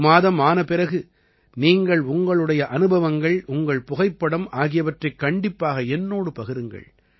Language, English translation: Tamil, And when one month is over, please share your experiences and your photos with me